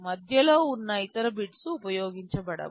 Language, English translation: Telugu, The other bits in between are unused